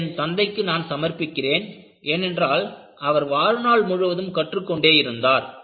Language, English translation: Tamil, And, this is dedicated to my father, who was a learner all through his life